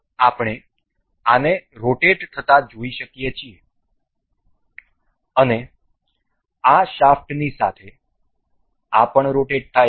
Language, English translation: Gujarati, So, we can see this as rotating and this is also rotating with this along the shaft